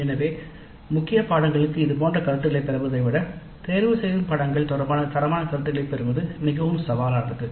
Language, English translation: Tamil, So getting quality feedback regarding elective courses is more challenging than getting such feedback for core courses